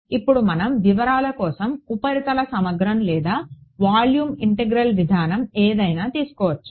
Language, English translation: Telugu, Now the details we can take either the surface integral or the volume integral approach it does not matter ok